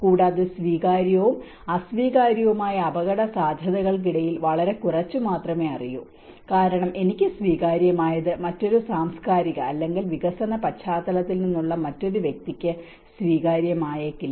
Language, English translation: Malayalam, Also, very less is known between the acceptable and unacceptable risks because what is acceptable to me may not be acceptable to the other person who come from a different cultural or a development background